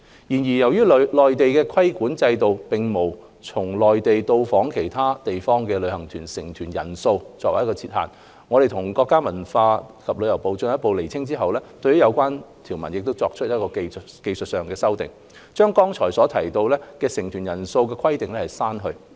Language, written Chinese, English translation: Cantonese, 然而，由於內地的規管制度並無就從內地到訪其他地方的旅行團成團人數設限，我們與國家文化和旅遊部進一步釐清後，對有關條文作出了技術修訂，將剛才提到的成團人數規定刪去。, Yet in the Mainlands regulatory regime there is no lower limit on the number of participants to form a tour group . After making further clarification with the States Ministry of Culture and Tourism we have proposed a technical amendment to the relevant clause and deleted the aforesaid lower limit on the number of tour group members